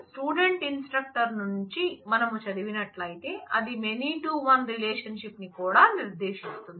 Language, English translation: Telugu, So, if we read from the student instructor, then it is also designates the many to one relationship